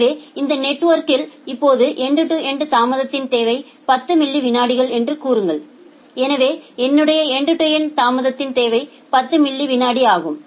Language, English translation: Tamil, So, in this network now say that end to end delay requirement is 10 milliseconds so my end to end delay requirement is 10 millisecond